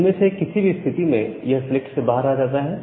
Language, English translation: Hindi, So, in any of the cases it comes out of the select